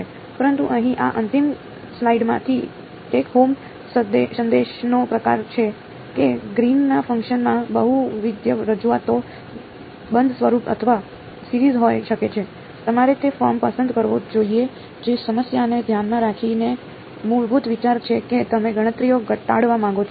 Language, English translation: Gujarati, But, sort of the take home message from this final slide over here is, that Green’s functions can have multiple representations closed form or series you should choose that form depending on the problem at hand basic idea is you want to reduce the calculations